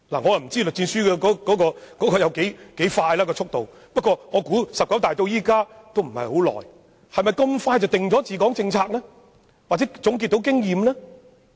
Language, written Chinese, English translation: Cantonese, 我不知道栗戰書的效率有多高，但"十九大"距今並非相隔太久，是否這麼快便能制訂治港政策或總結經驗呢？, I know nothing about LI Zhanshus efficiency but the 19 National Congress of the Communist Party of China was just concluded . Is it possible that a policy on the governance of Hong Kong can be formulated or experience can be summed up so swiftly?